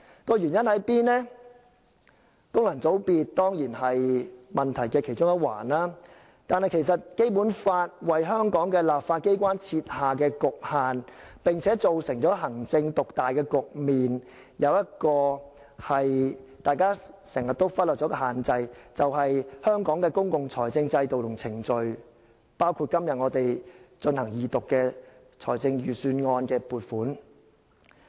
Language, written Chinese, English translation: Cantonese, 功能界別當然是問題的其中一環，但《基本法》為香港的立法機關設下局限，並造成行政獨大的局面，而其中一個大家經常忽略的限制，便是香港的公共財政制度和程序，包括今天我們進行二讀的預算案撥款。, Functional constituencies certainly constitute part of the problem but the Basic Law has placed restraints on Hong Kongs legislature and given rise to executive dominance . One of the restraints we often ignore is the system and procedure pertaining to Hong Kongs public finance including the Budget of which the Second Reading is going on today